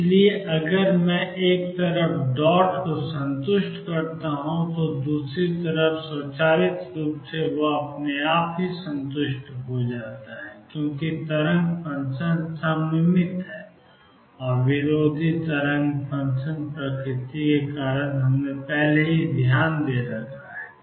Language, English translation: Hindi, So, if I satisfy dot on one side the other side will automatically be satisfied, because of the symmetric and anti symmetric nature of wave function that we have already taken care of